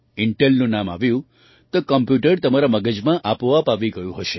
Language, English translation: Gujarati, With reference to the name Intel, the computer would have come automatically to your mind